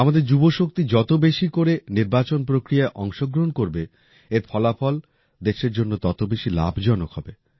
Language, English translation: Bengali, The more our youth participate in the electoral process, the more beneficial its results will be for the country